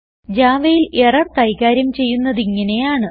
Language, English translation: Malayalam, This is how you handle errors in java